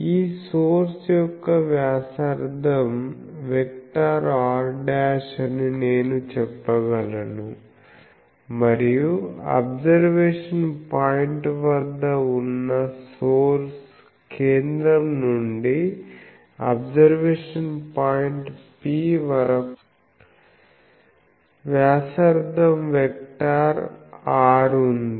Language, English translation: Telugu, So, I can say that the radius vector of this source is r dashed and the from the source at the observation point, I had the radius vector R and from the center I have to the observation point P